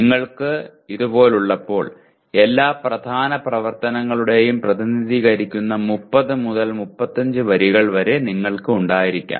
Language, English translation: Malayalam, So when you have like this, you may have something like 30 to 35 rows representing all the core activities